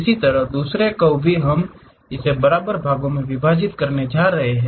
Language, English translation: Hindi, Similarly, the other curve also we are going to divide it into n equal number of parts